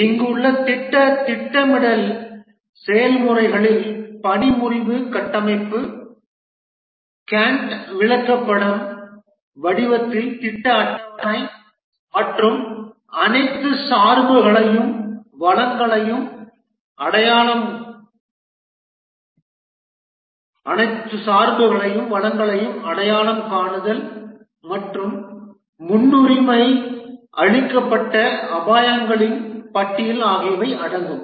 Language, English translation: Tamil, The project planning processes here the output include work breakdown structure, the project schedule in the form of Gantchard and identification of all dependencies and resources and a list of prioritized risks